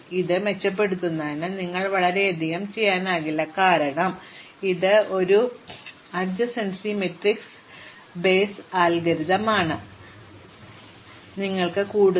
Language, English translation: Malayalam, This is not much you can do to improve this, because it is an adjacency matrix base algorithm, we cannot move to list, we do not have to compute any minimum maximum